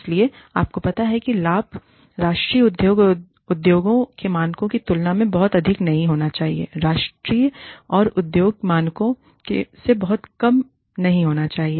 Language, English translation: Hindi, So, you know, benefits should not be, very much higher than the industry, should not be very much, lower than the national and industry standards